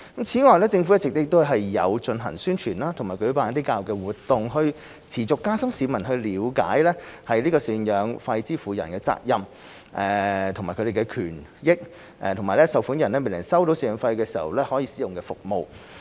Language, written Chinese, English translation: Cantonese, 此外，政府一直有進行宣傳和舉辦教育活動，以持續加深市民了解贍養費支付人的責任、贍養費受款人的權益和受款人未能收取贍養費時可使用的服務。, Furthermore the Government has been conducting publicity and education programmes to enhance public understanding of the responsibilities of maintenance payers the rights of maintenance payees and the services available to payees when they fail to receive maintenance payments